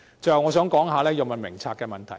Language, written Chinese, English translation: Cantonese, 最後，我想談《藥物名冊》的問題。, Lastly I would like to say a few words about the Drug Formulary